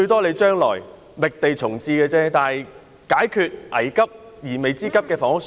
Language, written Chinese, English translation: Cantonese, 你將來可以覓地重置球場，但現在可解決迫在眉睫的房屋需要。, You can consider identifying a site to relocate the golf course in the future but the pressing housing need can be solved right now